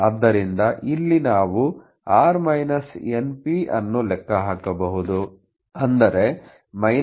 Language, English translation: Kannada, So, here we can calculate this is that is 11